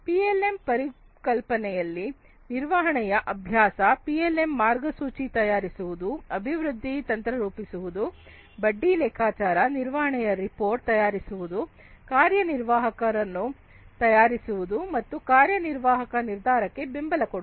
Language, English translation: Kannada, Practice of management in PLM concept, PLM roadmap generation, development strategy, rate of interest calculation, management report preparation, executive preparation and executive decision support